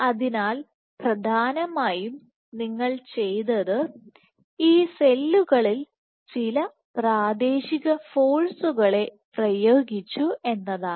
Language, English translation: Malayalam, So, what essentially we have done is we have exerted some local forces on these cells